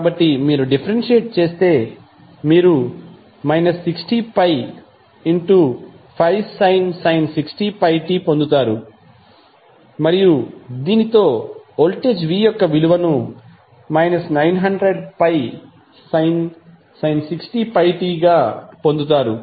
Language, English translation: Telugu, so, if you differentiate you will get minus pi into 5 sin 60 pi t and with this you will get the value of voltage v as minus 900 pi sin 60 pi t